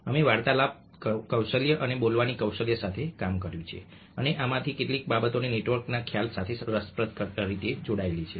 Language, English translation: Gujarati, we have adult with conversation skills and speaking skills, and some of these things do get linked to the concept of network in an interesting way